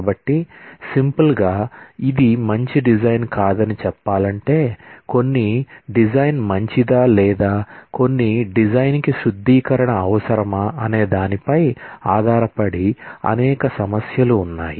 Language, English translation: Telugu, So, to put it in simple terms that this is not a good design and there are several issues to consider, in terms of whether some design is good or some design needs refinement